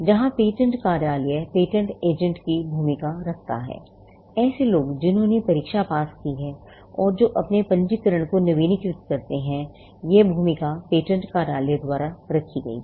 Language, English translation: Hindi, There are patent office keeps a role of the patent agent; people who have cleared the exam and who renew their registration; the role is kept at by the patent office